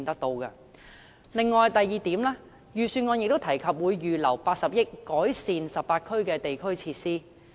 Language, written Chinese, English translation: Cantonese, 第二點是，預算案提及會預留80億元以改善18區的地區設施。, The second point is it was mentioned in the Budget that 8 billion would be set aside for improving district facilities in all the 18 districts